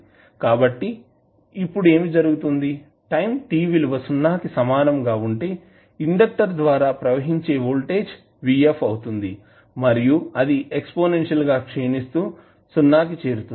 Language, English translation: Telugu, So, now what will happen that at time t is equal to 0 the voltage across conductor would be vf and then it would exponentially decay to 0